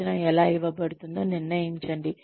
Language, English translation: Telugu, Decide on, how the training will be imparted